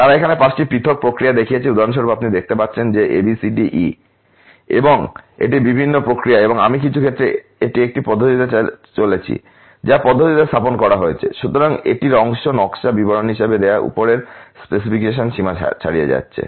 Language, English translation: Bengali, They are showing five different process here for example, you can see a, b, c, d, e these are different processes and I some cases it is going in a manner of it is placed in a manner, so that part of it is going above the upper specification limit as given to the design details ok